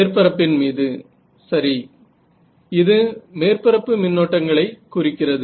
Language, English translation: Tamil, surface right; so, this implies surface currents right